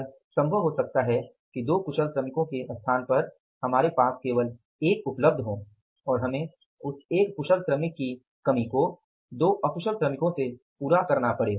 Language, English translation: Hindi, It may be possible that in the place of the two skilled workers we have only one available and we have to replace that is the shortage of the one skilled worker with the two unskilled workers